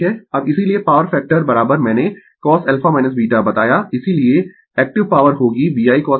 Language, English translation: Hindi, Now, therefore, power factor is equal to I told you cos alpha minus beta therefore, active power will be VI cos alpha minus beta right